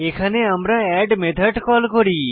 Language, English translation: Bengali, Here we call our add method